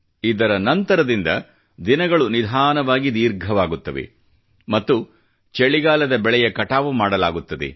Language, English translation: Kannada, It is during this period that days begin to lengthen and the winter harvesting of our crops begins